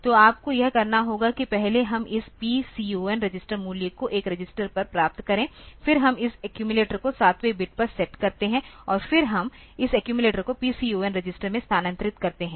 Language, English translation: Hindi, So, you have to you can do it like this first we get this PCON register value onto a register, then we set bit this accumulator seventh bit and then we move this accumulator in to PCON register